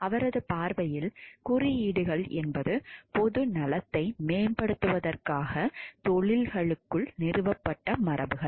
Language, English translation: Tamil, In his views codes are conventions established within professions to promote the public good